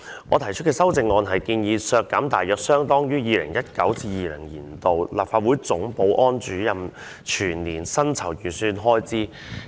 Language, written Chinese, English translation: Cantonese, 我提出的修正案是建議削減大約相當於 2019-2020 年度立法會總保安主任的全年薪酬預算開支。, My amendment seeks to reduce an amount which is equivalent to the estimated expenditure on the annual emoluments for the Chief Security Officer of the Legislative Council in 2019 - 2020